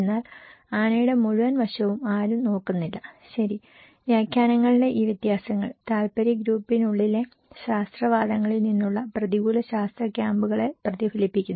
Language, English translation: Malayalam, No one is looking at the entire aspect of the elephant, okay and these differences in interpretations reflect adversarial science camps results from scientific advocacies within interest group